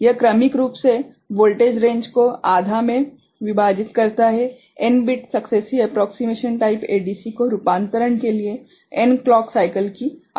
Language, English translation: Hindi, It successively divides voltage range in half, n bit successive approximation type ADC requires n clock cycles for conversion